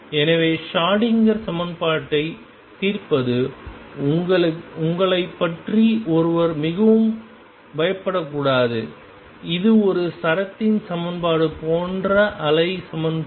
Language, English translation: Tamil, So, one should not feel really scared about you know solving the Schrödinger equation it is a wave equation like equation on a string